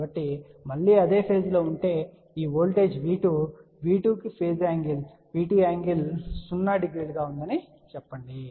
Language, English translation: Telugu, So, assuming that again if they are in the same phase so this voltage V2 let us say that V 2 has a phase angle V 2 angle 0 this is also V 2 angle 0